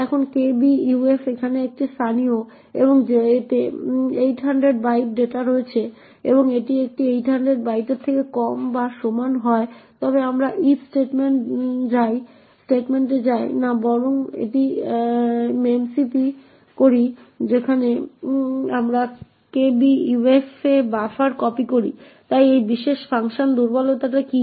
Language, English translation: Bengali, Now kbuf is a local over here and comprises of 800 bytes of data and if it is len is less than or equal to this 800 bytes then we do not go into the if statement but rather do a memcpy where we copy buffer to kbuf, so what is the vulnerability in this particular function